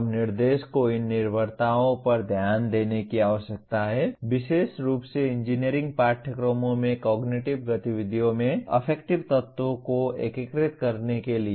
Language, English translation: Hindi, Now instruction needs to pay attention to these dependencies especially to integrating affective elements into cognitive activities in engineering courses